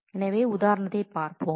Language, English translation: Tamil, So, let us have a look at the example